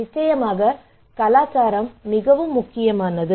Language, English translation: Tamil, Of course culture is an important